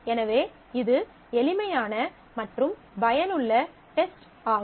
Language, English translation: Tamil, So, it is simple and useful test that can be made use of